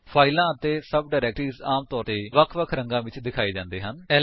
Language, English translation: Punjabi, Files and sub directories are generally shown with different colours